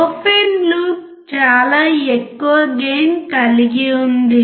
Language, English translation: Telugu, Open loop has extremely high gain